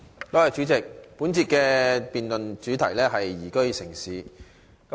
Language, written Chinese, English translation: Cantonese, 代理主席，本節的辯論主題是"宜居城市"。, Deputy President the topic of this debate session is Liveable City